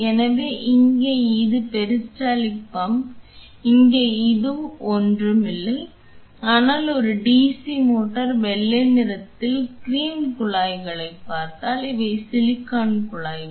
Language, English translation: Tamil, So, this here is the peristaltic pump here this is nothing, but a DC motor if you see the white the cream tubings here these are the silicone tubings